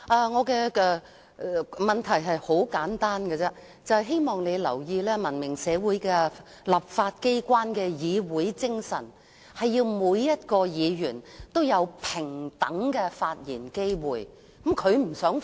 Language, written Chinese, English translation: Cantonese, 我的問題很簡單，就是希望你注意，文明社會立法機關的議會精神，是要讓每位議員也有平等機會發言。, My question is simple just seeking to draw your attention to the fact that the parliamentary spirit of the legislature in a civilized society is to provide equal opportunities for Members to speak